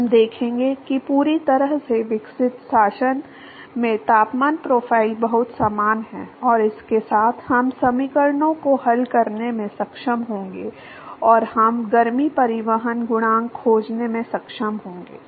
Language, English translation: Hindi, We will show that the temperature profiles in the fully developed regime, is very similar and with that, we will be able to solve the equations and we will be able to find the heat transport coefficient